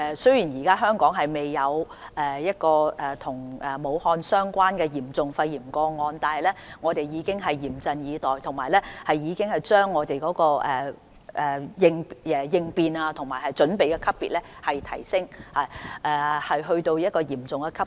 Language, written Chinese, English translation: Cantonese, 雖然香港現時未有一宗與武漢病例有關的嚴重肺炎個案，但我們已經嚴陣以待，並已經把應變級別提升至"嚴重"級別。, Although in Hong Kong there is not a case of serious pneumonia relating to the cases in Wuhan so far we are on alert and have raised the response level to Serious